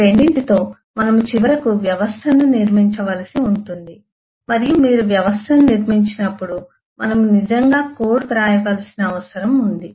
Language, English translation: Telugu, with these 2, we will finally have to go and build the system, and when you build the system, we need to actually right code